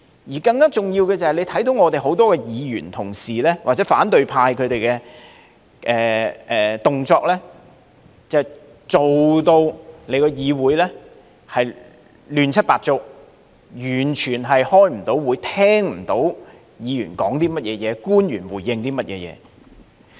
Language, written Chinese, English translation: Cantonese, 此外，更重要的是，大家看到我們很多議員同事，或者反對派的動作，搞到議會亂七八糟，完全開不到會，聽不到議員的發言及官員的回應。, And more importantly everybody can see that the deeds of many Members or the opposition camp have plunged the legislature into complete chaos and we are utterly unable to conduct meetings or heed Members speeches and officials replies